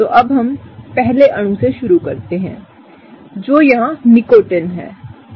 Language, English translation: Hindi, So, now let’s start with the first molecule that is Nicotine here